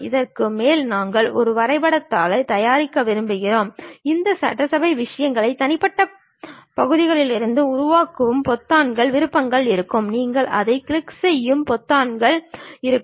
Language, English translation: Tamil, And over that, we want to prepare a drawing sheet, there will be buttons options once you create this assembly thing from individual parts, there will be buttons which you click it